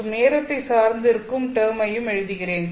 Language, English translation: Tamil, Let me write down the time dependent term as well